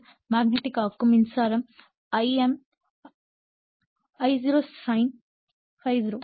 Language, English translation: Tamil, Now, magnetizing current I m will be 0 point and I0 sin ∅0